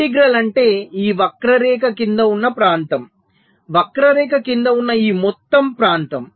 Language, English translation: Telugu, integral means the area under this curve, so this total area under the curve